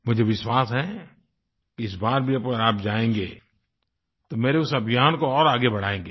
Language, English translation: Hindi, I am sure that even this time if you go, you will lend further fillip to my campaign